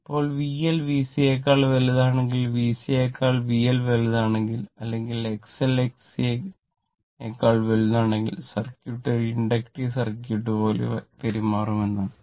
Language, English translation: Malayalam, Now, if it is given that if V L greater than V C, that is V L greater than V C or if X L greater than X C right, that means, circuit will behave like inductive circuit